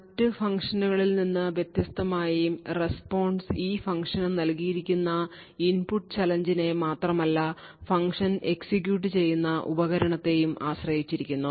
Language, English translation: Malayalam, However, the way it is different from other functions is that the response not only depends on the input challenge that is given but also, on the device where the function is executing in